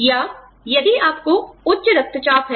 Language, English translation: Hindi, Or, if you have high blood pressure